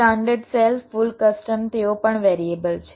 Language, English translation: Gujarati, standard cell, full custom, they are also variable